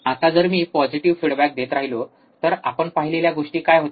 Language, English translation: Marathi, Now, if I keep on going applying positive feedback, what was the thing that we have seen